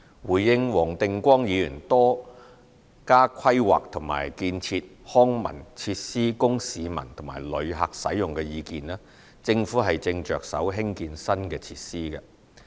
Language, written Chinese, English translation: Cantonese, 回應黃定光議員多加規劃和建設康文設施供市民和旅客使用的意見，政府正着手興建新的設施。, With regard to Mr WONG Ting - kwongs suggestion on planning and building more leisure and cultural facilities for the public and tourists the Government has started the construction of new facilities